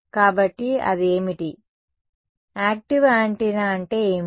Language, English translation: Telugu, So, what does that, what does active antenna mean